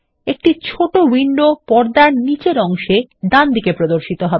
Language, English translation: Bengali, A small window opens at the bottom right of the screen